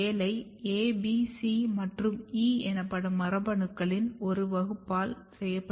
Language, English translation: Tamil, And these job is done by a class of genes which is called A B C and E